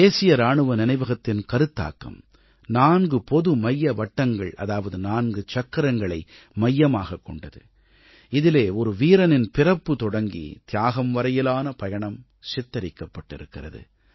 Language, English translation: Tamil, The concept of the National Soldiers' Memorial is based on the notion of four concentric circles, which depicts the journey of a soldier from coming into being, culminating in his martyrdom